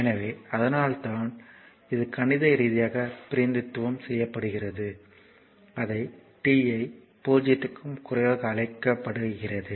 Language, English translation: Tamil, So, that is why it is mathematically represent that is your what you call that t less than 0